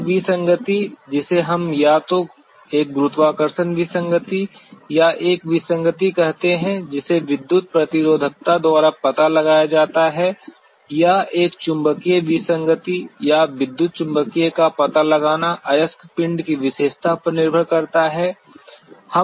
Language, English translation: Hindi, The kind of anomaly what we are calling as either a gravity anomaly or an anomaly which is detected by electrical resistivity or detecting a magnetic anomaly or an electromagnetic depend on the property of the ore body